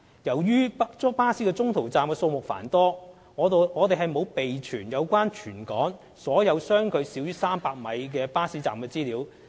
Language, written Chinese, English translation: Cantonese, 由於巴士中途站的數目繁多，我們沒有備存有關全港所有相距少於300米的巴士站資料。, Given the vast number of en - route bus stops we have not maintained information on bus stops with a spacing of less than 300 m across the territory